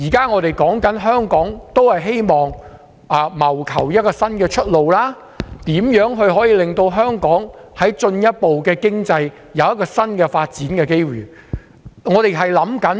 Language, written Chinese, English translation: Cantonese, 我們現時希望為香港謀求一條新出路，如何可以進一步令香港的經濟有新的發展機遇？, We are now seeking a new way forward and exploring how new development opportunities can be further created for Hong Kong